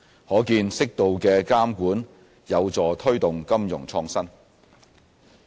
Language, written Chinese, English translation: Cantonese, 可見適度的監管有助推動金融創新。, These initiatives show that measured regulation can help promote financial innovation